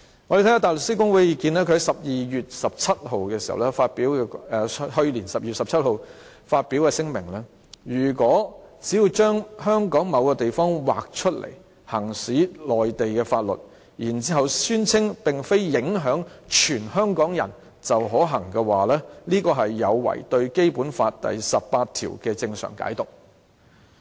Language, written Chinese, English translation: Cantonese, 我們看看大律師公會的意見，他們在去年12月17日發表聲明，指出如果只要把香港某地方劃出來行使內地法律，然後宣稱並非影響全香港人便可行的話，這是有違對《基本法》第十八條的正常解讀。, Let us refer to the opinions of HKBA . On 17 December last year they issued a statement pointing out that if a certain place in Hong Kong is designated for application of Mainland laws it is considered viable so long as it is claimed that not all the people of Hong Kong will be affected that would go against any plain reading of Article 18 of the Basic Law